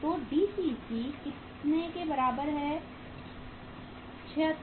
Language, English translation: Hindi, So DCC is equal to how much 76 minus 20